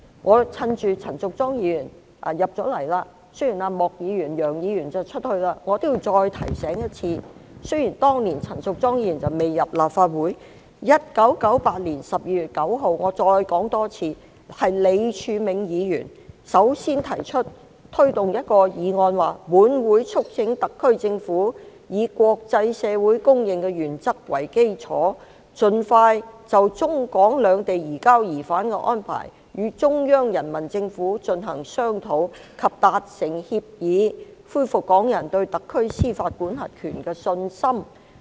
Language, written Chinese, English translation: Cantonese, 我趁陳淑莊議員進入了會議廳，雖然莫議員和楊議員正在離席，我也要再次提醒，雖然當年陳淑莊議員未加入立法會 ，1998 年12月9日，我重申一次，是李柱銘議員首先提出一項議案："本會促請特區政府以國際社會公認的原則為基礎，盡快就中港兩地移交疑犯的安排與中央人民政府進行商討及達成協議，恢復港人對特區司法管轄權的信心。, I took advantage of Ms Tanya CHANs entry into the Chamber . Although Mr Charles Peter MOK and Mr Alvin YEUNG are leaving I would like to remind them again that although Ms Tanya CHAN had not yet joined the Legislative Council that year on 9 December 1998 I reiterated once that it was Mr Martin LEE who first proposed the following motion this Council also urges the SAR Government to expeditiously discuss and conclude an agreement with the Central Peoples Government on the basis of internationally accepted principles on rendition arrangements between the Mainland and the SAR so as to restore the publics confidence in the SARs judicial jurisdiction